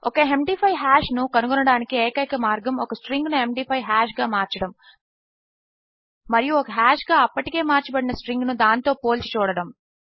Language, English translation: Telugu, The only way to find out an MD5 hash is to convert a string to an MD5 hash as well and compare it to a string that has already been converted to a hash